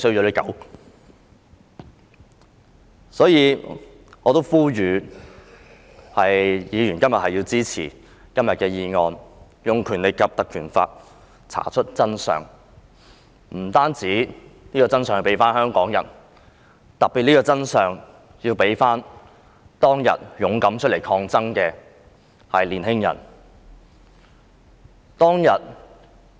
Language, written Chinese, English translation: Cantonese, 因此，我呼籲議員今天要支持這項議案，憑藉《條例》查出真相，還香港人公道，特別是當天出來勇敢抗爭的青年人。, Therefore I urge Members to support this motion so as to pursuant to the Ordinance dig out the truth and return justice to the people of Hong Kong especially the courageous young protesters